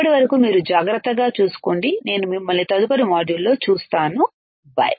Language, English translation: Telugu, Till then you take care, I will see you next module, bye